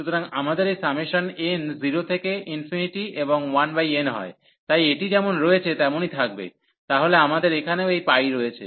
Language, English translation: Bengali, So, we have this summation n goes 0 to infinity and 1 over n so will remain as it is so we have also this pi here